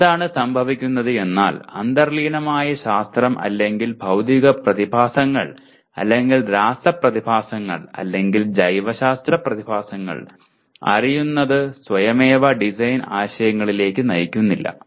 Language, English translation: Malayalam, What happens is, knowing the underlying science or physical phenomena or chemical phenomena or biological phenomena it does not automatically lead to design concepts